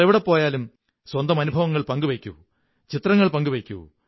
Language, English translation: Malayalam, Wherever you go, share your experiences, share photographs